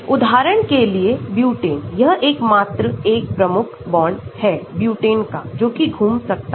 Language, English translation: Hindi, Butane for example, this is the only one key bond for butane which can rotate